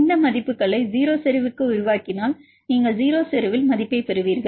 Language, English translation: Tamil, If you extrapolate these values to 0 concentration you will get the value at 0 concentration